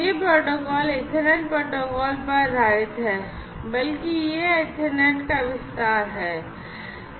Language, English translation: Hindi, So, here this particular protocol is based on the Ethernet protocol; rather it is an extension of the Ethernet